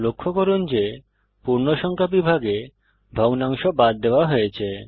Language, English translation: Bengali, Please note that in integer division the fractional part is truncated